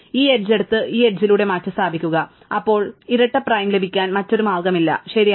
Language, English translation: Malayalam, Notice by picking up this edge and replace it with this edge, then perhaps there is no other way to get a double prime, right